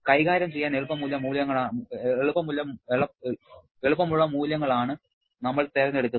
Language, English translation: Malayalam, We are choosing values which will be easy to deal with